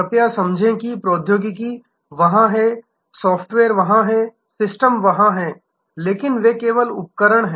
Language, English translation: Hindi, Please understand, that the technology is there, the software is there, the systems are there, but they are only tools